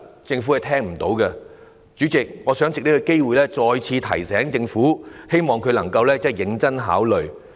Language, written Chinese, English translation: Cantonese, 主席，我想藉此機會再次提醒政府，希望政府能夠認真考慮。, President I wish to take this opportunity to give the Government a reminder once again hoping that it can give our proposals serious consideration